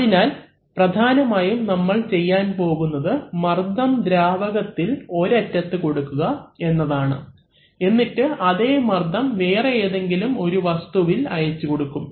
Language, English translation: Malayalam, So, what we essentially are going to do is that we are going to apply pressure to a fluid at one end and the same pressure is going to get transmitted and act on some other body